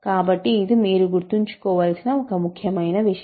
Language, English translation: Telugu, So, this is an important fact to remember